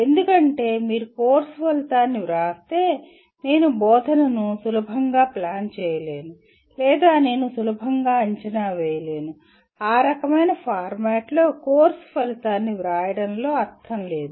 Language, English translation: Telugu, Because if you write a course outcome for which I cannot easily plan instruction or I cannot easily assess; there is no point in writing a course outcome in that kind of format